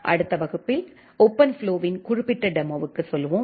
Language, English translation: Tamil, We will go for certain demo of OpenFlow in the next class